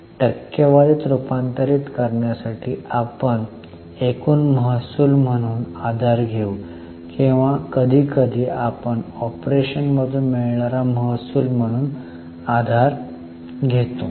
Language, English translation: Marathi, For converting into percentage, we will take the base as the total revenue or sometimes we take base as revenue from operations